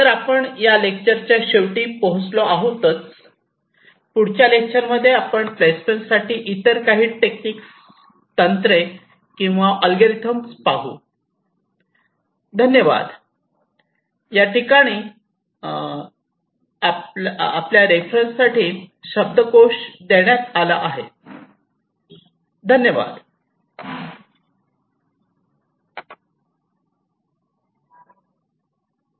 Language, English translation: Marathi, in our next lectures we shall be looking at some other techniques or algorithms for placement